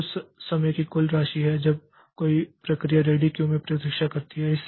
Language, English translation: Hindi, Then waiting time so total time a process has been waiting in the ready queue